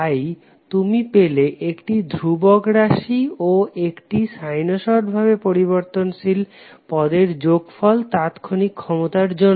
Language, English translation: Bengali, So you got one constant term plus one sinusoidally varying term for instantaneous power